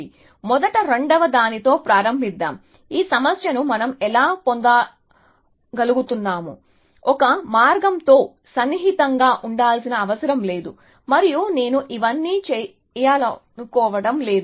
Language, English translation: Telugu, So, let me first begin with the second one, how can we get around this problem that, I do not need to maintain close with one path and then find a better path later and I do not want to do all this